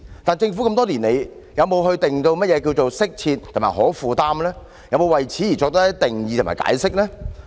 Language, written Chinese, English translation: Cantonese, 但是，多年以來，政府有否為"適切"及"可負擔"作任何定義及解釋呢？, However over the years has the Government ever given any definition or explanation of what is meant by adequate and affordable?